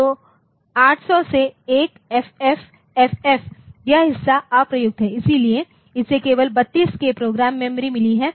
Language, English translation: Hindi, So, from 800 to 1FFFF this part so, this part is unused so, it has got only 32K program memory